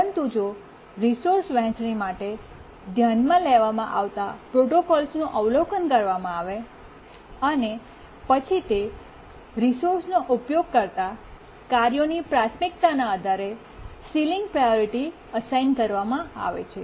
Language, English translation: Gujarati, But if you look at the protocols that we considered for resource sharing, we assign ceiling priority based on the priorities of the tasks that use that resource